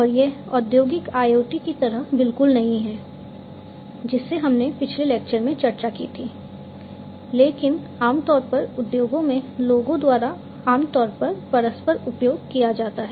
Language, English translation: Hindi, And it is not exactly like the industrial IoT that we discussed in the previous lecture, but is often commonly used interchangeably by people in the industries